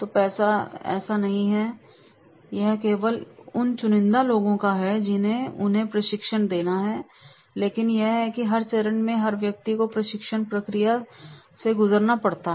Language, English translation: Hindi, So, it is not like this, it is only the selective people they have to give the training but it is that is the every person at every stage has to go through the training process